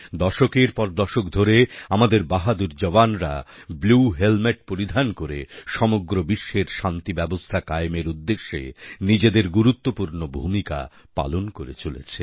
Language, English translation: Bengali, For decades, our brave soldiers wearing blue helmets have played a stellar role in ensuring maintenance of World Peace